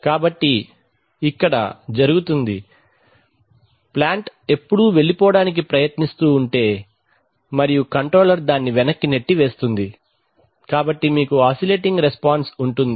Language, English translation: Telugu, So this is what happens, so the plant tends to run away and the controller keeps pushing it back, so you have an oscillating response